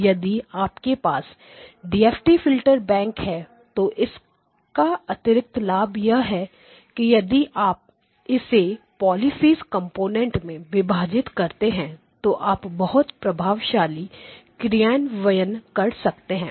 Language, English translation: Hindi, And if you have a DFT filter bank then the added benefit is that if you now break it up into its Polyphase components then you get very efficient implementation, polyphase components okay